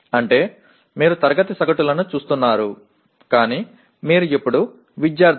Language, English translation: Telugu, That means you are looking at class averages but you are now the students